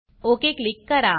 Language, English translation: Marathi, Click OK here